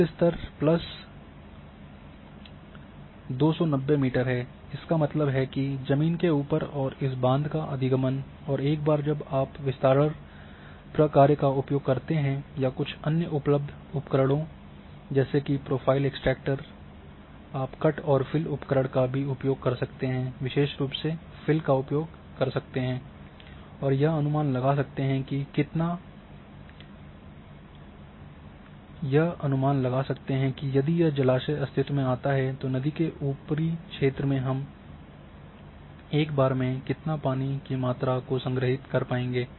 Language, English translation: Hindi, Water level is plus 290 meters; that means, above the ground and here is along this dam access and once you go for this spread function or some other tools which are available like profile extractor you can also use cut and fill tool especially the fill tool and a this will estimate that how much volume of water will we stored about in upper stream from once if this reservoir comes or come in existence